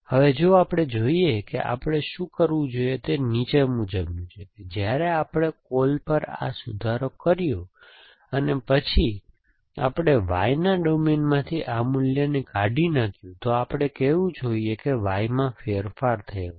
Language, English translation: Gujarati, Now, if we look at what is happening here, what we should have done is the following that when we made this revise at call, and then we deleted this value from the domain of Y, we should we have said Y has change